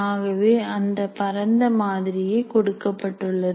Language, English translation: Tamil, So broadly, that is a model that has been given